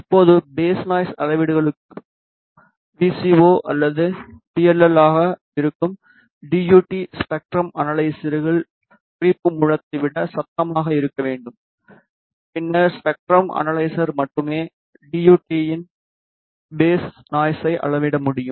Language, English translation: Tamil, Now, for phase noise measurements the DUT which is the VCO or PLL has to be noisier than the spectrum analyzers reference source then only the spectrum analyzer can measure the phase noise of the DUT